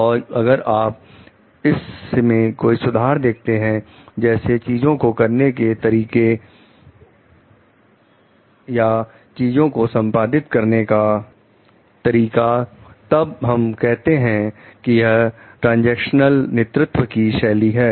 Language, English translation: Hindi, And it is a like and if you see any improvement in it like they in the ways of doing things in the ways things are getting performed then we talk of it is due to the; it is due to the transactional leadership style